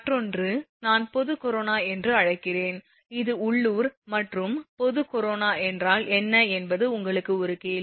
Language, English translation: Tamil, Another I am calling general corona again this is a question to you what is local corona and what is general corona